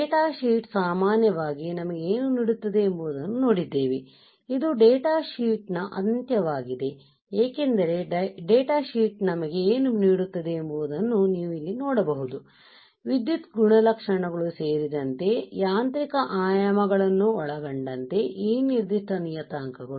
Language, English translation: Kannada, Now since we have seen what the data sheet generally gives us right this is the end of the data sheet as you can see here what data sheet gives us is this particular parameters right including the mechanical comp mechanical dimensions, including the electrical characteristics right